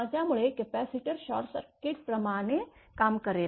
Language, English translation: Marathi, So, capacitor will behave like a short circuit